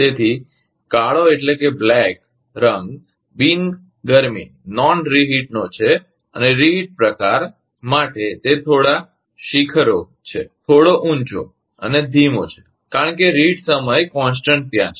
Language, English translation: Gujarati, So, black one is non reheat and for reheat type, it is slightly peak; is slightly higher and slower because of the reheat time constant is there